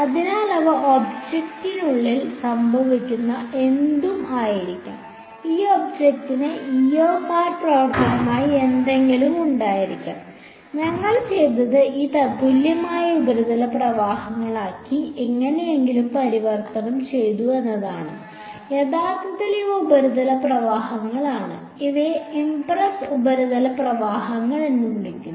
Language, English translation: Malayalam, So, they may be anything happening inside this object this object can have any epsilon as a function of r; what we have done is we have some somehow converted that into this equivalent surface currents actually these are surface currents these are called impressed surface currents